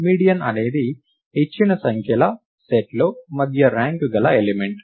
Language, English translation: Telugu, Median is the middle ranked element in a given set of numbers